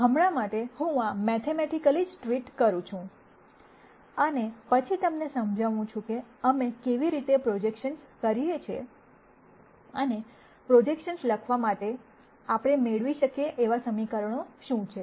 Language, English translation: Gujarati, For now, I am just going to treat this mathematically, and then explain to you how we do projections and what are the equations that we can get for writ ing down projections